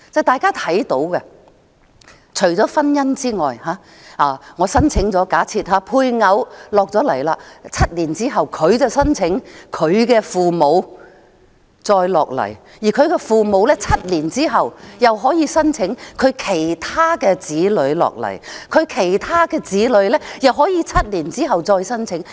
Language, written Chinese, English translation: Cantonese, 大家要明白，假設我申請了配偶來港 ，7 年之後他/她便申請其父母來港，而其父母在7年後又可以申請其他子女來港，其他子女又可以在7年之後再申請。, Members should understand that supposing one has successfully applied for the spouse to come to Hong Kong heshe will apply for hisher parents to come seven years later and hisher parents can further apply for other children to come seven years later and those children can submit further applications seven years later